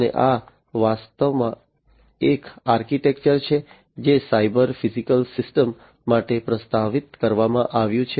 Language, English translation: Gujarati, And this is actually an architecture, which has been proposed for cyber physical systems